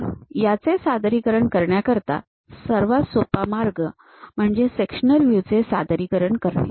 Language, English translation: Marathi, So, to represent that, the easiest way is representing the sectional view